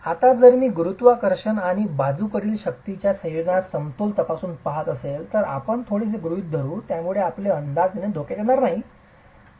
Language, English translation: Marathi, Now if I were to examine the equilibrium under a combination of gravity and lateral forces, we make little assumptions which will not jeopardize our estimations here